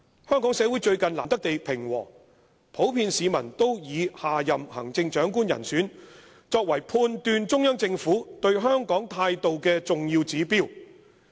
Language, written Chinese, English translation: Cantonese, "香港社會最近難得地平和，普遍市民都以下任行政長官人選，作為判斷中央政府對香港態度的重要指標。, The people are generally watching who will be elected the next Chief Executive which they take as an important indicator of the Central Governments attitude toward Hong Kong